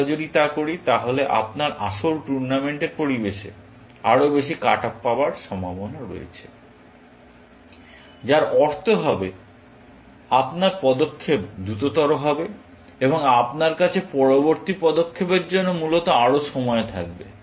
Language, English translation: Bengali, If we do that you are likely to get more cut off, which in the real tournament environment, will mean that your move would be faster, and you would have more time